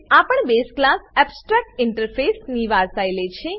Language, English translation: Gujarati, This also inherits the base class abstractinterface